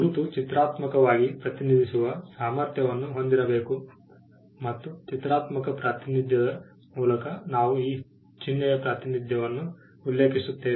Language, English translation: Kannada, The mark should be capable of being graphically represented, and by graphical representation we refer to the representation of this of a sign